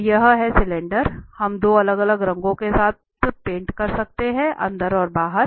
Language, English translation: Hindi, So this is the cylinder, we can paint with 2 different colours, the inside and the outside